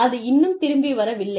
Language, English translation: Tamil, And, it had not yet, come back